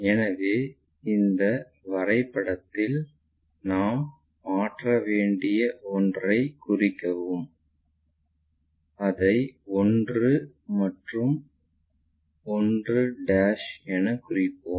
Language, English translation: Tamil, So, on this projection mark that one which we have to transfer, let us mark that one as 1 and 1'